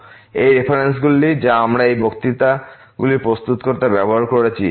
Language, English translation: Bengali, These are references which we have used to prepare these lectures and